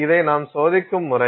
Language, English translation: Tamil, So, this is the way we test it